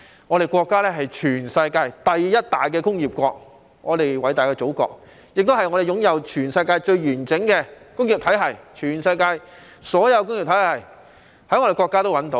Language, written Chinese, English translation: Cantonese, 我們國家是全世界第一大工業國，我們偉大的祖國擁有全世界最完整的工業體系，全世界所有工業體系也可在我們國家內找到。, Our country has the largest industrial output in the world . Our great Motherland has the most comprehensive industrial system in the world . All industrial models in the world can be found in our country